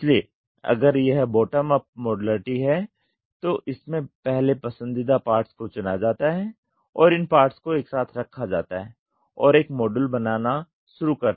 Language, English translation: Hindi, So, if it is bottom up it is preferred parts are chosen and these parts are put together and you start forming a module